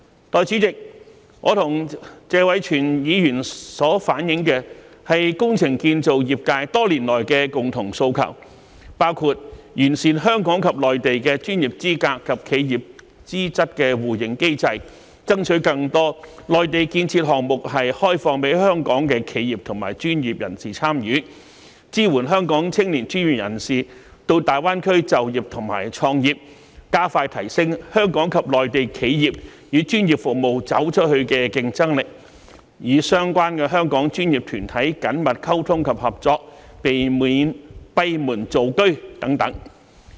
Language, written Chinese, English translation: Cantonese, 代理主席，我和謝偉銓議員所反映的是工程建造業界多年來的共同訴求，包括完善香港及內地的專業資格及企業資質互認機制，爭取更多內地建設項目開放予香港企業和專業人士參與，支援香港青年專業人士到大灣區就業和創業，加快提升香港及內地企業與專業服務業"走出去"的競爭力，與相關的香港專業團體緊密溝通及合作，避免閉門造車等。, Deputy President what Mr Tony TSE and I have conveyed are the common aspirations of the construction and engineering sectors all these years and these include perfecting the mechanism for mutual recognition of professional qualifications and enterprise qualities between Hong Kong and the Mainland; striving for opening up more construction projects on the Mainland for participation by Hong Kong enterprises and professional personnel; providing Hong Kong young professional personnel with support for employment and entrepreneurship in the Greater Bay Area; enhancing expeditiously the competitiveness of enterprises and professional services industries in Hong Kong and the Mainland to go global; communicating and cooperating closely with the relevant Hong Kong professional bodies to avoid acting like making a cart behind closed doors